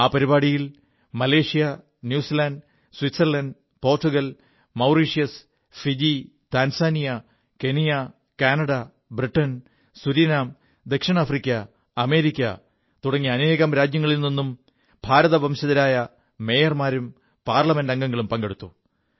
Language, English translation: Malayalam, You will be pleased to know that in this programme, Malaysia, New Zealand, Switzerland, Portugal, Mauritius, Fiji, Tanzania, Kenya, Canada, Britain, Surinam, South Africa and America, and many other countries wherever our Mayors or MPs of Indian Origin exist, all of them participated